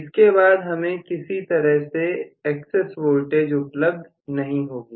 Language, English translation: Hindi, So, there is no excess voltage available at all